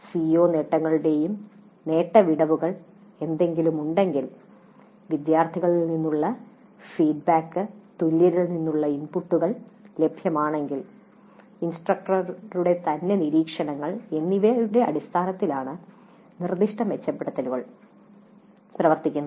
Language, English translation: Malayalam, Specific improvements are worked on the basis of CO attainments and attainment gaps if any, feedback from students, inputs from peers if it is available, observations by the instructor herself